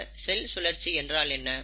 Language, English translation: Tamil, So what is cell cycle